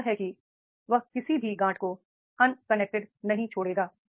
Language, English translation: Hindi, That is he will not be leave any note unconnected